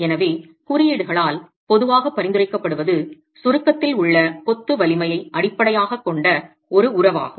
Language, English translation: Tamil, So, what is typically prescribed by the codes is a relationship that is based on the strength of the masonry in compression